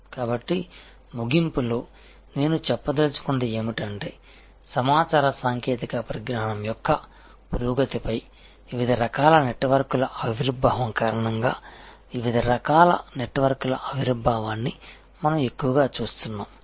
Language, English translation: Telugu, So, in conclusion, what I would like to say is that increasingly we see emergence of different kinds of networks due to emergence of different types of network riding on continuing advancement of information communication technology